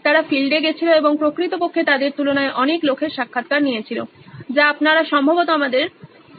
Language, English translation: Bengali, They went on field and actually interviewed a lot lot number of people compared to the ones that you probably saw on the snippet that we had